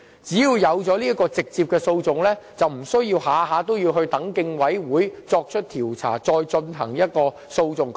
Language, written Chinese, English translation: Cantonese, 只要有直接的訴訟，便不需要每次都必須等待競委會作出調查，再進行訴訟。, With the option of instituting direct proceedings it will no longer be a necessary step for every single case to go through the Competition Commission for inquiry and legal actions